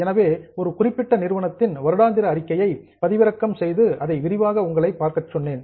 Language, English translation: Tamil, So, I had told you to download annual report of one particular company and go through it in detail